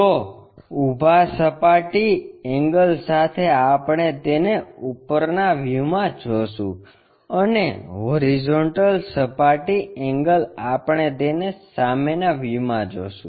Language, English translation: Gujarati, So, with vertical plane angle what we will see it in the top view and the horizontal plane angle we will see it in the front view